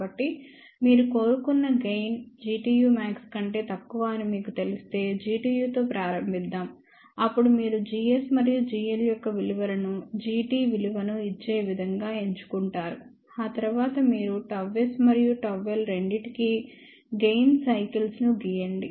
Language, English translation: Telugu, So, once you know that desired gain is less than the g t u max, then start with g t u; then you choose the value of g s and g l such a way that they will give the value of g t, after that you draw the gain cycles for both gamma s and gamma l